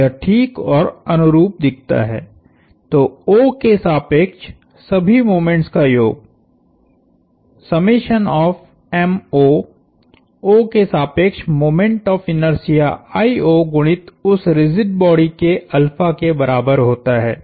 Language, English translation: Hindi, This looks nice and analogous, so this sum of all moments about O equals I the moment of inertia about O times alpha of that rigid body